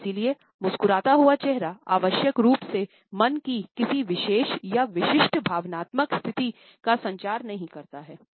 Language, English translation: Hindi, And therefore, I smiling face does not necessarily communicate a particular or a specific emotional state of mind